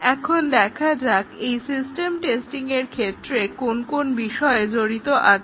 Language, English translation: Bengali, Now, let us see what is involved in system testing